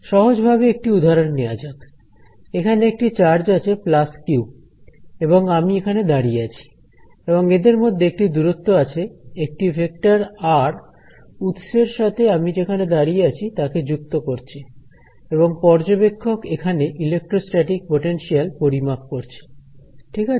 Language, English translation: Bengali, So, something simple could be for example, here is a charge plus q and I am standing over here and there is some distance over here, there is a vector r that connects the source to where I am, and this observer here could be recording; let say the electrostatic potential right